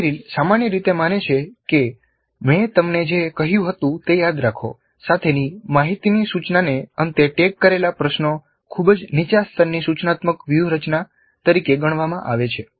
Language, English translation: Gujarati, And Merrill generally believes that information only instruction with remember what I told you questions at the end, tagged at the end is considered as a very low level instructional strategy